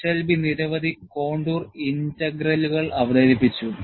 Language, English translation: Malayalam, And, Eshelby introduced a number of contour integrals